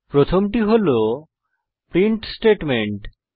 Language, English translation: Bengali, The first one is the print statement